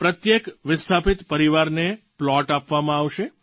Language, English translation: Gujarati, Each displaced family will be provided a plot of land